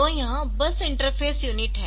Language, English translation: Hindi, So, this bus interface unit